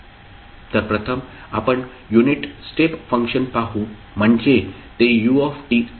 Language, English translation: Marathi, So, first is let us say unit step function so that is ut